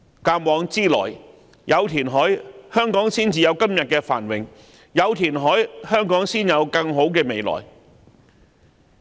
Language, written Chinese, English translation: Cantonese, 鑒往知來，有填海，香港才有今天的繁榮；有填海，香港才有更好的未來。, Reclamation is the foundation of Hong Kongs prosperity today; and reclamation is the foundation of a brighter future for Hong Kong